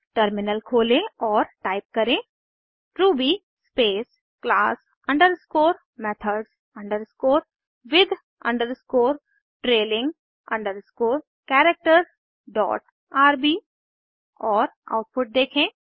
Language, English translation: Hindi, Switch to the terminal and type ruby class underscore methods underscore with underscore trailing underscore characters dot rb and see the output